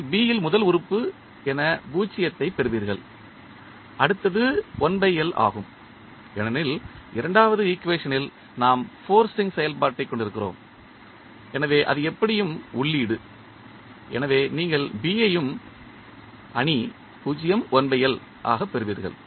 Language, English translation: Tamil, So, in this way we get matrix A plus B matrix you get 0 in the as a first element in B and then next one is 1 by L, because in the second equation we have the forcing function present, so that is anyway the input, so you get B also as 0, 1 by L